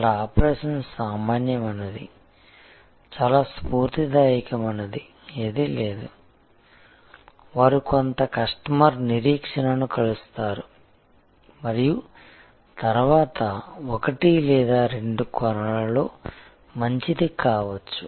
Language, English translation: Telugu, Here, the operation is mediocre, there is nothing very inspiring, they meet some customer expectation and then, may be good in one or two dimensions